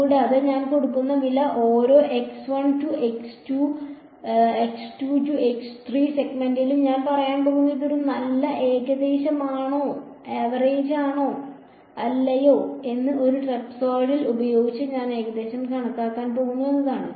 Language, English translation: Malayalam, And, the price I am paying is that I am going to say in each segment x 1 to x 2, x 2 to x 3 I am going to approximate by a trapezoidal whether or not it is a good approximation or not